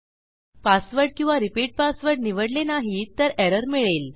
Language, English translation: Marathi, So if I didnt chose a repeat or a password we get our error